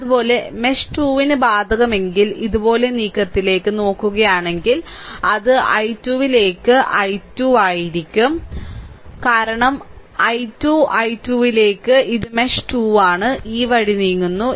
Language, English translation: Malayalam, Similarly, for mesh 2, if you apply, if you look; if you look into that move like this, it will be 12 into i 2 because 12 into i 2, this is mesh 2; 12 into i 2, right, you are moving this way